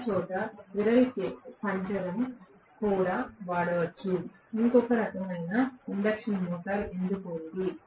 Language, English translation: Telugu, Might as well use the squirrel cage everywhere, why have another type of induction motor at all